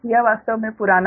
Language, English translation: Hindi, this is actually old value